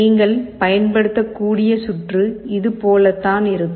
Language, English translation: Tamil, So, the circuit that you can use is something like this